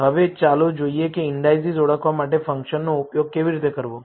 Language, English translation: Gujarati, Now, let us see how to use this function to identify the indices